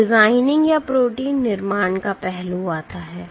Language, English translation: Hindi, Now comes the aspect of designing or protein construct